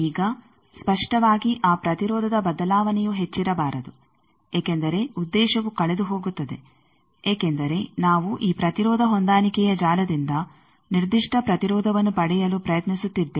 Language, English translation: Kannada, Now, obviously that variation of impedance that should not be much because then the purpose will be lost, because we are trying to get particular impedance from this impedance matching network